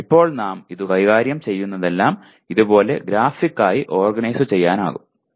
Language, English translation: Malayalam, So but right now whatever we have handled till now can be graphically organized like this